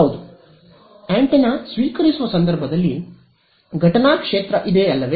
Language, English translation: Kannada, Yes, in the case of receiving antenna there is an incident field right